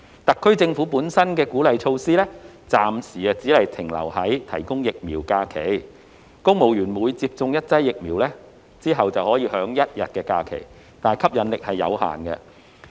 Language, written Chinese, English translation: Cantonese, 特區政府本身的鼓勵措施，暫時只停留在提供疫苗假期，公務員每接種一劑疫苗後可享一天假期，吸引力有限。, The encouraging measure of the SAR Government so far includes only the provision of vaccination leave . Civil servants will be granted one day of leave for each dose of vaccine taken and the attractiveness is pretty limited